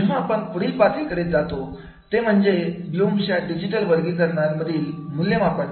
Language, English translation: Marathi, When we go to the next level of the evaluating in the blooms digital taxonomy what it means